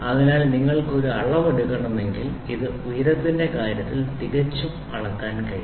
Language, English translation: Malayalam, So, if you want to take a measurement this will be perfectly measureable in terms of height